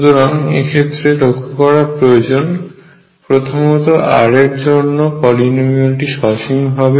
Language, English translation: Bengali, So, number one notice that the polynomial n r is finite